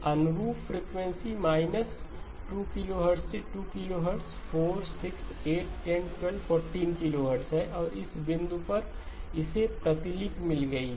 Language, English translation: Hindi, Corresponding frequency is minus 2 to 2, 4, 6, 8, 10, 12, 14, 16 and at this point it has got the copy